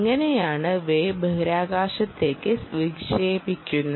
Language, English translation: Malayalam, how the waves get launched into space